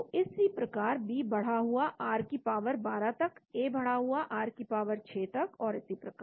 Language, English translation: Hindi, So like this know, B raised to the r power 12 A raised to the r power 6 and so on